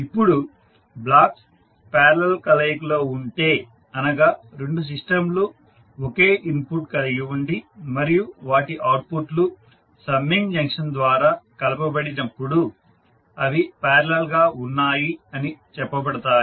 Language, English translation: Telugu, Now, if the blocks are in parallel combination means two systems are said to be in parallel when they have common input and their outputs are combined by a summing junction